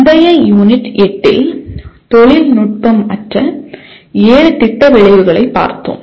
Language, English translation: Tamil, We looked at in the previous Unit 8, the seven non technical Program Outcomes